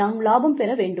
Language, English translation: Tamil, We have to make profit